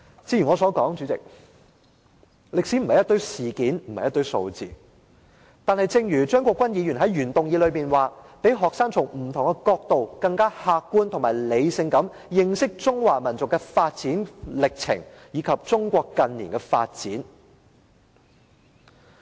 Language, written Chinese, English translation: Cantonese, 主席，我剛才提到，歷史並非一堆事件和數字，但張國鈞議員在原議案中提到，"讓學生從不同角度更客觀和理性地認識中華民族的發展歷程，以及中國近年的發展。, President as I have mentioned earlier history is not a bunch of incidents and figures but Mr CHEUNG Kwok - kwan stated in his original motion enable students to get to know the development process of the Chinese nation and Chinas development in recent years more objectively and rationally from different perspectives